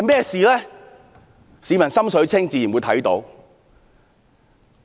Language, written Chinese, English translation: Cantonese, 市民"心水清"，自會看得出事實。, People with a clear mind would know what it was all about